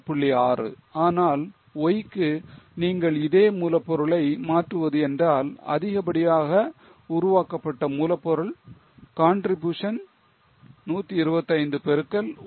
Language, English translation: Tamil, 6 but if you transfer the same raw material to why the extra raw material contribution generated will be 125 into 1